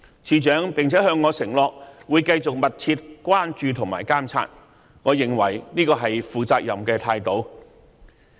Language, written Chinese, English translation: Cantonese, 署長並向我承諾會繼續密切關注和監察，我認為這是負責任的態度。, The Director also undertook to continue to follow and monitor this matter closely so I believe this is a responsible attitude